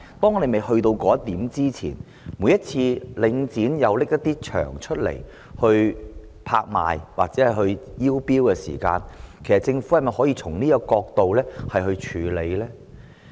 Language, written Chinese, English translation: Cantonese, 在我們未到達那一步前，每次領展推出一些場地拍賣或招標時，其實政府可否從這角度來處理？, Before we can achieve that goal and whenever Link REIT puts up some venues for auction or tender can the Government take actions from this angle?